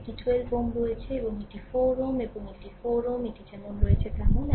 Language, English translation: Bengali, This 12 ohm is there and this 4 ohm and this 4 ohm, this one is there as it is right